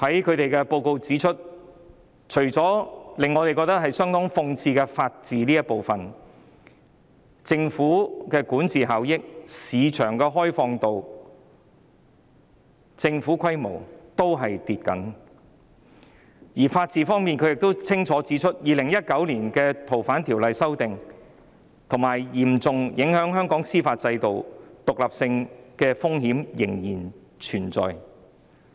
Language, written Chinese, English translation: Cantonese, 他們的報告指出，除了令我們覺得相當諷刺的法治這部分外，香港在管治效益、市場開放度及政府規模的評分均下跌，而在法治方面，他們亦清楚指出 ，2019 年《逃犯條例》的修訂嚴重危及香港司法獨立的風險仍然存在。, As highlighted in their report besides the part about the rule of law which we consider a big irony Hong Kongs scores in government size regulatory efficiency and open markets have dropped . In regard to the rule of law they have clearly pointed out that the risk of the independence of Hong Kongs judiciary being seriously imperiled by the amendment exercise of the Fugitive Offenders Ordinance in 2019 still exists